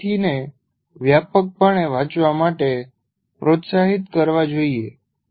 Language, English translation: Gujarati, And then by and large, the student should be encouraged to read widely